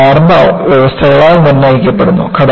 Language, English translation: Malayalam, It is dictated by the kind of initial conditions